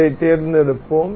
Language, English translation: Tamil, We will select this